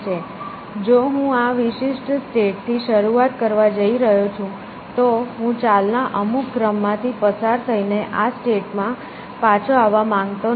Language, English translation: Gujarati, So, if I am going to start this particular state, I do not want to come back to this state by going through a sequence of moves